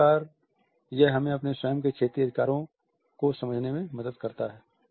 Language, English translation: Hindi, So, it helps us to understand our own territorial rights